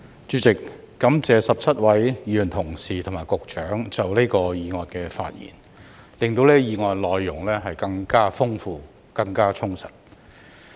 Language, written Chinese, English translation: Cantonese, 主席，感謝17位議員同事和局長就這項議案的發言，令這項議案的內容更豐富和充實。, President I would like to thank the 17 Members and the Secretary for speaking on this motion to make its content richer